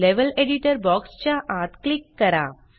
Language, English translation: Marathi, Click inside the Level Editor box